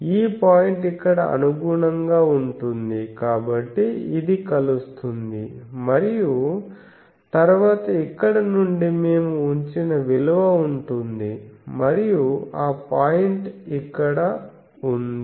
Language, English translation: Telugu, So, this point will correspond here, so this intersect and then from here, the value we put, and that point is here that point is here